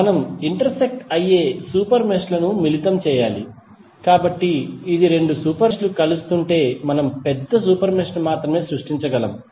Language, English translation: Telugu, We have to combine the super meshes who are intersecting, so this is important thing that if two super meshes are intersecting then only we can create a larger super mesh